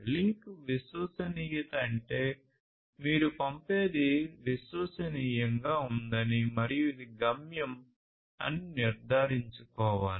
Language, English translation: Telugu, So, that link reliability means that you have to ensure that whatever you are sending reliably which is the destination